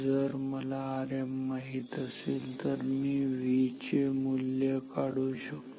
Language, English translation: Marathi, If I know the value of R m then I can compute the value of V